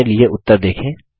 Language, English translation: Hindi, See the result for yourself